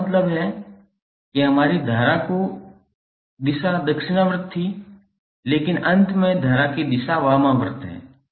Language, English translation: Hindi, That means that our initial direction of current was clockwise but finally the direction of current is anti clockwise